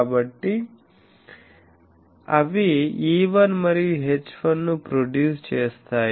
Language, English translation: Telugu, So, they are producing E1 and H1